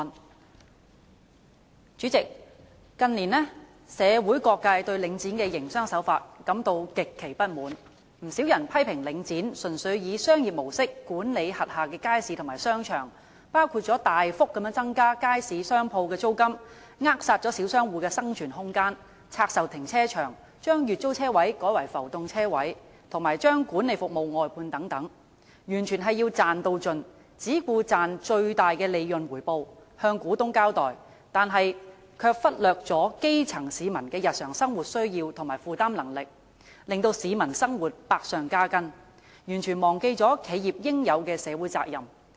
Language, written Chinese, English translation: Cantonese, 代理主席，近年社會各界對領展房地產投資信託基金的營商手法感到極其不滿，不少人批評領展純粹以商業模式管理轄下街市和商場，包括大幅增加街市商鋪的租金，扼殺小商戶的生存空間；拆售停車場，將月租車位改為浮動車位，以及將管理服務外判等，完全是要"賺到盡"，只顧賺取最大的利潤回報，向股東交代，但卻忽略基層市民的日常生活需要和負擔能力，令市民生活百上加斤，完全忘記企業應有的社會責任。, Quite a number of people have criticized Link REIT of managing its markets and shopping arcades purely on a commercial basis including significantly raising rentals of commercial premises in markets stifling the room of survival of small traders; divesting car parks and replacing monthly parking spaces with floating parking spaces and contracting out management services . Without a doubt it seeks to make every possible gain only in pursuit of maximum returns so as to fulfil its responsibilities to shareholders . However it has neglected the daily necessities and affordability of grass - roots people thereby aggravating the burden on their livelihood